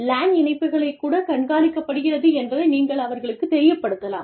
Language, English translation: Tamil, You make it known to them, that the LAN connections will be monitored